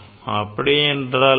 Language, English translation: Tamil, What is that